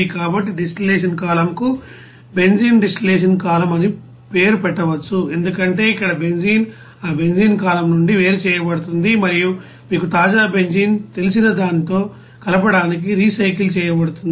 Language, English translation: Telugu, So this distillation column can be named as benzene distillation column because here the benzene will be you know separated out from that benzene column and it will be recycled to you know mix with that you know fresh benzene